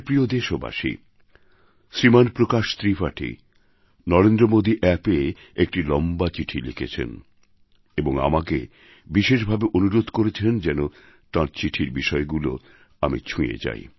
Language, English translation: Bengali, My dear countrymen, Shriman Prakash Tripathi has written a rather long letter on the Narendra Modi App, urging me to touch upon the subjects he has referred to